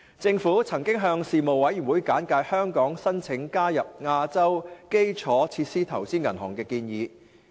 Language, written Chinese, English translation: Cantonese, 政府曾向事務委員會簡介香港申請加入亞洲基礎設施投資銀行的建議。, The Government had briefed the Panel on its proposal for Hong Kong to apply for membership in the Asian Infrastructure Investment Bank AIIB